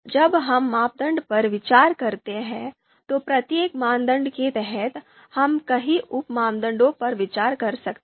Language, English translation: Hindi, So when we consider criteria, you know under each criteria, we consider a number of sub criteria